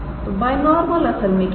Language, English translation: Hindi, So, the binormal what is that